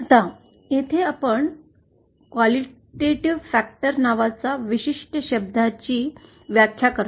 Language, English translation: Marathi, Now here, we define certain term called qualitative factor